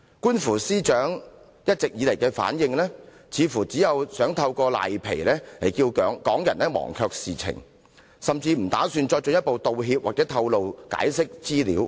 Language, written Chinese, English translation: Cantonese, 觀乎司長一直以來的回應，似乎是想藉"賴皮"令港人忘卻事件，甚或不打算作進一步道歉、透露及解釋資料。, Judging from the responses made by the Secretary for Justice it seems that she has been acting shamelessly hoping that Hong Kong people may forget about the fiasco or even abandon the idea of seeking further apology as well as disclosure of information and explanation